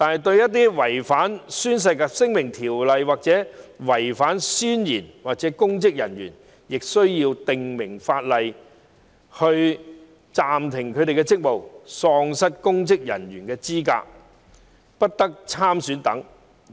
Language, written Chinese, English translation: Cantonese, 至於違反《宣誓及聲明條例》或誓言的公職人員，我們需要制定法規，訂明他們會被暫停職務、喪失公職人員資格及不得參選等。, As for public officers who violate the Oaths and Declarations Ordinance or breach the oath legislation should be enacted to stipulate that they will be suspended from duties and disqualified from holding public office and standing for election